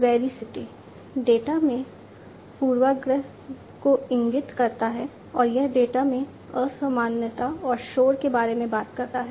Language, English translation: Hindi, Veracity indicates the biasness in the data and it talks about the unusualness and noise in the data